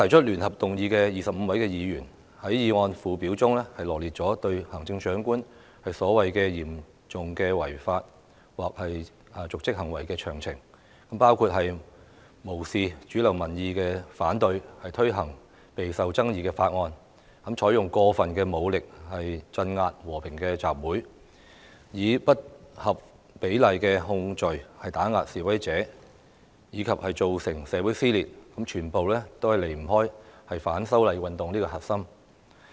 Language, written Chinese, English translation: Cantonese, 聯合提出議案的25位議員，在議案附表中羅列出行政長官所謂"嚴重違法或瀆職行為"的詳情，包括"無視主流民意反對，強推備受爭議的法案"、"採用過分武力鎮壓和平集會"、"以不合比例的控罪打壓示威者"，以及"造成社會撕裂"，全部均離不開反修例運動這個核心。, The 25 Members who jointly initiated the motion set out the details of the so - called serious breach of law or dereliction of duty by the Chief Executive in the motion including Disregard of mainstream opposing views and unrelentingly pushing through a highly controversial bill Use of excessive force to crack down on peaceful assembly Intimidating protestors with disproportionate criminal charges and Causing a rift in society . All of these are connected to the core of the movement of opposition to the proposed legislative amendments